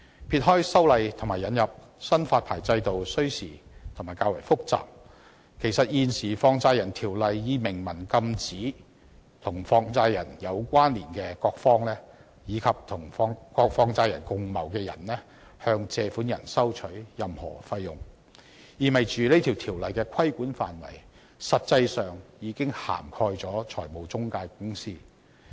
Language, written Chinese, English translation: Cantonese, 撇開修例和引入新發牌制度需時而且較為複雜，其實現時《放債人條例》已明文禁制與放債人有關連的各方，以及與放債人共謀的人士向借款人收取任何費用，意味條例的規管範圍實際上已經涵蓋了中介公司。, Putting aside the fact that it is time - consuming and relatively complicated to amend the Ordinance and introduce a new licensing regime the existing Ordinance has already expressly prohibited various parties associated with money lenders as well as people colluding with money lenders from levying any fees on borrowers . This implies that the regulatory ambit of the Ordinance has practically covered intermediaries